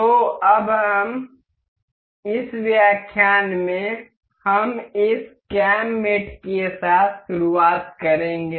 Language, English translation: Hindi, So, now, in this lecture we will start with this cam mate